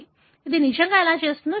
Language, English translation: Telugu, Let us look at how does it really do